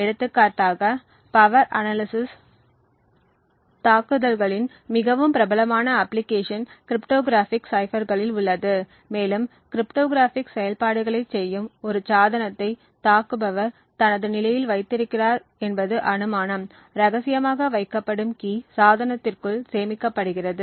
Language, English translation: Tamil, For example, a very popular application of power analysis attacks is on cryptographic ciphers and the assumption is that we have the attacker has in his position a device which is doing cryptographic operations, the key which is kept secret is stored within the device